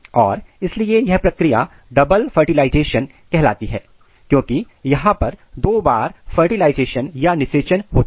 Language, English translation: Hindi, And that is why this process is called double fertilization because there are two round of fertilization occurs